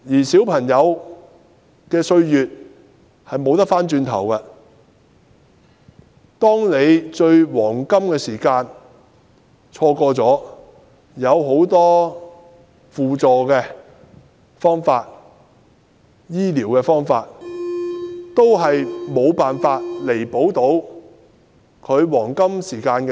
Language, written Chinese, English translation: Cantonese, 小朋友的歲月是不能追回的，錯過了治療的黃金時間，往後即使有很多輔助和治療方法都已無法彌補所失。, If the children have missed the golden time for treatment they will never be able to return to their childhood and the loss will be irreparable even if they are given many support and various treatments in future